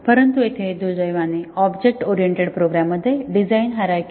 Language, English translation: Marathi, But, here unfortunately in an object oriented program the design is not hierarchical